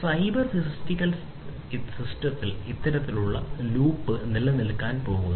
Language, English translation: Malayalam, So, this kind of loop is going to exist in cyber physical systems